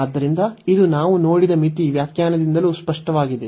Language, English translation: Kannada, So, this is also clear from the limit definition, which we have seen